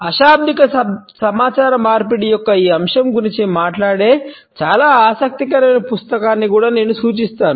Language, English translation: Telugu, I would also refer to a very interesting book which talks about this aspect of non verbal communication